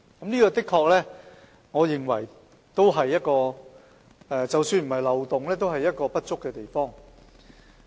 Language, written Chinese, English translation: Cantonese, 這點我認為的確——即使不是漏洞——也是不足之處。, In this regard I think there is indeed deficiency if not a loophole